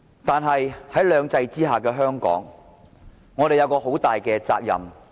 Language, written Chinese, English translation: Cantonese, 但是，在兩制之下的香港，我們有一個很大的責任。, As such Hong Kong people have a great responsibility under two systems